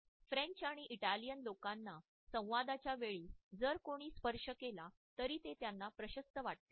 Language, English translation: Marathi, For example, the French and the Italian people are comfortable if somebody else touches them during the dialogue, they feel comfortable about this idea